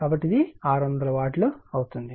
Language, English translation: Telugu, So, it will become 600 Watt right